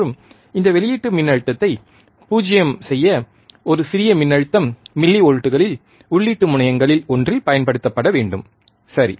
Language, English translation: Tamil, And to make this output voltage 0, a small voltage in millivolts a small voltage in millivolts is required to be applied to one of the input terminals, alright